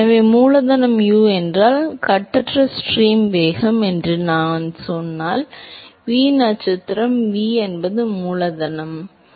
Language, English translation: Tamil, So, if capital U is the free stream velocity and if I say v star is v by capital V; capital U